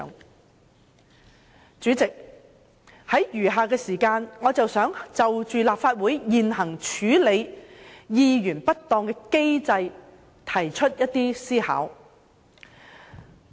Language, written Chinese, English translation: Cantonese, 代理主席，在餘下的時間，我想就立法會處理議員不當行為的現行機制提出一些思考。, Deputy President in the remaining time I would like to present some thoughts on the existing mechanisms of the Legislative Council for handling misconduct of Members